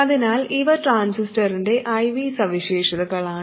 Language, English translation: Malayalam, So these are the IV characteristics of the transistor